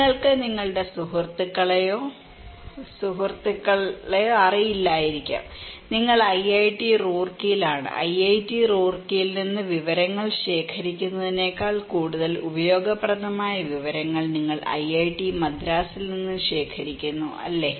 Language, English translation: Malayalam, You do not know your friends, friends, friends, friend maybe, you are at IIT Roorkee and you are collecting informations from IIT Madras that is more useful than only collecting informations from IIT Roorkee, right